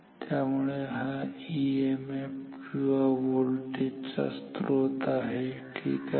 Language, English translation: Marathi, So, this is the source of the EMF or the voltage ok